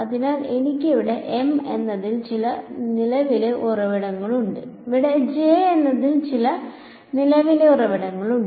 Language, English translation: Malayalam, So, I have some current source over here M and some current source over here J